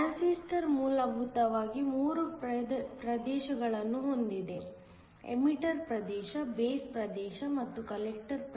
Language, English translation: Kannada, A transistor has essentially three regions; an emitter region, a base and a collector